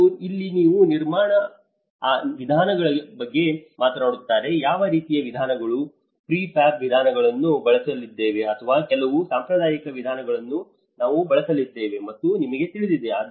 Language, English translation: Kannada, And here they talk about the construction methods; you know what kind of methods, prefab methods are we going to use, or some traditional methods we are going to use